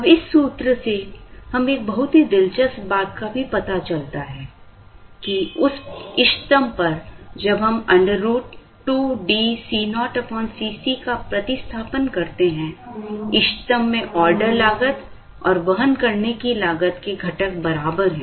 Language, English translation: Hindi, Now, from this formula, we also observe an very interesting thing which is, at the optimum that is, when we substitute root over 2 D C naught by C c, at the optimum the component of the order cost and the component of the carrying cost are equal